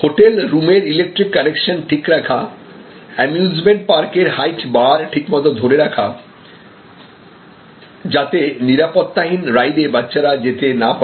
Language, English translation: Bengali, So, whether it is in the electrical connections in the hotel room or the height bar at the amusement park so, that young children cannot go to rides, which are not the safe for them